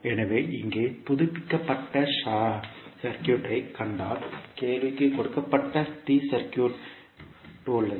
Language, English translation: Tamil, So, if you see the updated circuit here you have the T circuit of the, T circuit given in the question